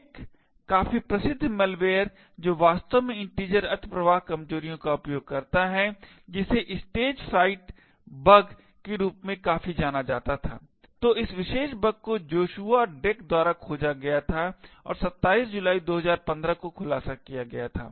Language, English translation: Hindi, One quite famous malware which actually uses integer overflow vulnerabilities quite a bit was known as the Stagefright bug, so this particular bug was discovered by Joshua Drake and was disclosed on July 27th, 2015